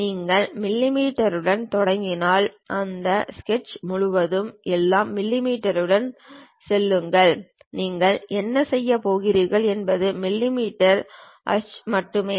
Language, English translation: Tamil, If you begin with mm everything go with mm throughout that sketch what you are going to do use only mm ah